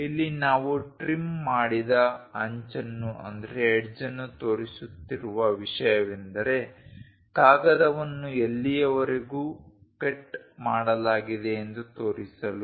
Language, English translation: Kannada, So, here, the thing what we are showing trimmed edge is the paper up to which the cut has been done